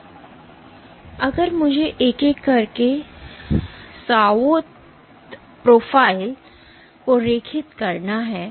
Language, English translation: Hindi, So, if I were to draw the Sawtooth profile one by one